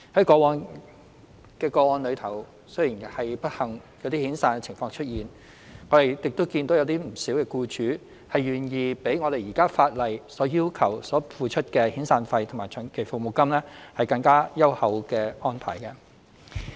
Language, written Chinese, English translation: Cantonese, 過往的個案雖然不幸出現遣散僱員的情況，但亦見到不少僱主願意作出較現時法例要求的遣散費及長期服務金更優厚的安排。, While there have been unfortunate cases of redundancy cases in the past we have also seen quite a number of employers willing to offer arrangements which were more generous than the severance payment and long service payment as required by the existing laws